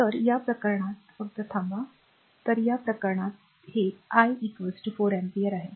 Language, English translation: Marathi, So, in this case your just hold on; so, in this case this is i is equal to 4 ampere